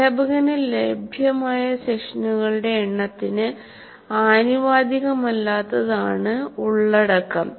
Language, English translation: Malayalam, Content is disproportionate to the number of sessions that are available to the teacher